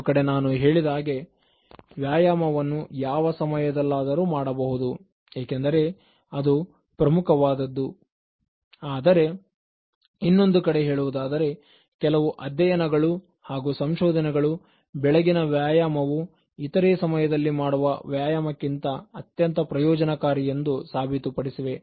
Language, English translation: Kannada, So, on the one hand when I say that you can exercise anytime because exercise itself is important but on the other hand, there are many studies, research, and then factors, to prove that morning exercise is the most beneficial one or at least more beneficial than other exercises